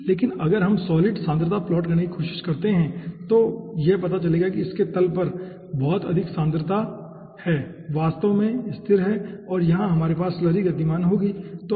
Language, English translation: Hindi, okay, but if we try to plot, the solid concentration will be finding out that it is having a very high concentration at the bottom, which is stationary actually, and here we will be having moving slurry